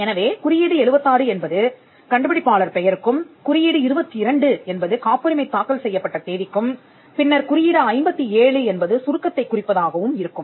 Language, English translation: Tamil, So, code 76 will be for the inventor’s name, code 22 will be for the date on which it is filed, then, code 57 will be for the abstract